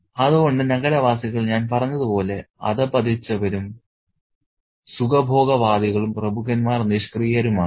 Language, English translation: Malayalam, So, the city folk, as I said, are decadent, hedonistic and the aristocrats are passive